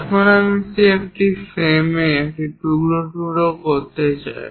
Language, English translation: Bengali, Now I want to slice it on that frame